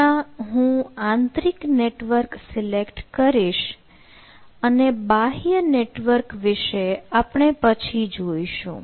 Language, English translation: Gujarati, so currently i will select the internal network and i will come back to this external network later